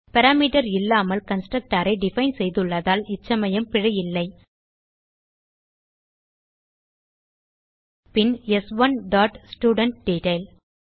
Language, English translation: Tamil, This time we see no error, since we have define a constructor without parameter Then s1 dot studentDetail